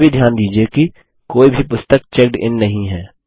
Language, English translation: Hindi, Also notice that none of the books are checked in